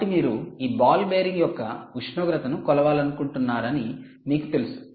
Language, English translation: Telugu, good, so now you know that you want to measure the temperature of this ball bearing